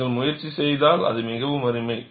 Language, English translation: Tamil, If you make an attempt, it is very nice